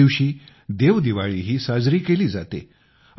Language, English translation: Marathi, 'DevDeepawali' is also celebrated on this day